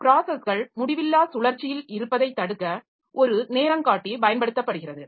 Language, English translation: Tamil, So, a timer is used to prevent the processes to be in infinite loop